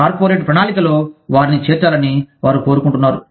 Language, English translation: Telugu, They want the corporate planning, to include them